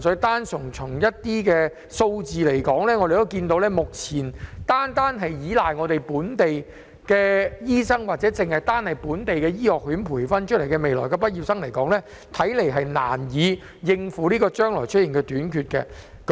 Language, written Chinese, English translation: Cantonese, 但是，從數字來看，目前單靠本地醫生或本地醫學院日後培訓出來的畢業生，似乎難以應付將來會出現的短缺。, However based on the figures local doctors and future graduates of local medical schools seem hardly sufficient to cope with the shortage in the future